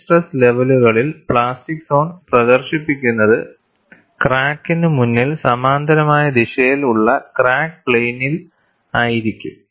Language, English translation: Malayalam, At high stress levels, the plastic zone is projected in front of the crack in the direction parallel to the crack plane; that is what happens